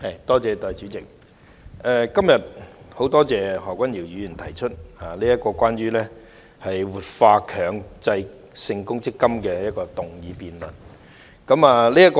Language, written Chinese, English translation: Cantonese, 代理主席，今天十分感謝何君堯議員提出關於"活化強制性公積金"議案的辯論。, Deputy President I am very grateful to Dr Junius HO for proposing the motion on Revitalizing the Mandatory Provident Fund today